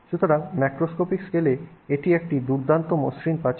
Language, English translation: Bengali, So, at the macroscopic scale it's a nice smooth wall